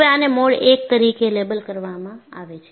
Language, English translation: Gujarati, This is labeled as Mode I